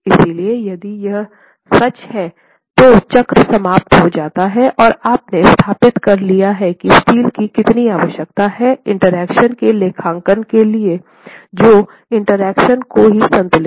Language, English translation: Hindi, So, if this is true, the cycle ends and you have established how much steel is required to satisfy the interaction, accounting for the interaction itself